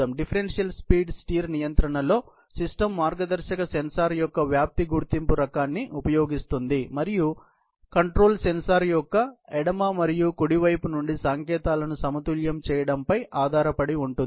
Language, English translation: Telugu, So, in the differential speed steer control, the system uses an amplitude detection type of guidance sensor and the control is based on balancing of the signals from the left and the right side of the sensor ok